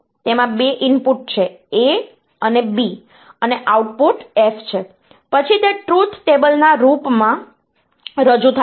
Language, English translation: Gujarati, And if I have got 2 inputs, A and B and the output is F, then it is represented in the form of a truth table